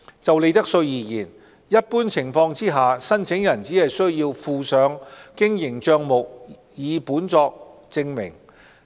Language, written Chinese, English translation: Cantonese, 就利得稅而言，一般情況下，申請人只需附上經營帳目擬本作證明。, In respect of profits tax applicants normally are only required to submit draft accounts as supporting documents